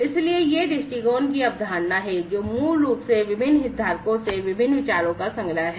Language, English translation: Hindi, So, that is the concept of the viewpoints, which is basically a, a collection of different ideas from different stakeholders